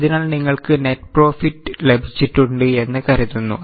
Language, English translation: Malayalam, So, you get net profit